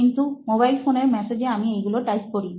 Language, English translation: Bengali, But mobile phone, in message I type those things